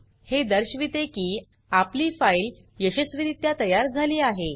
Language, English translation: Marathi, This shows that our file is successfully created